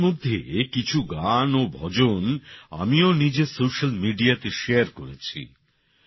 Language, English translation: Bengali, I have also shared some songs and bhajans on my social media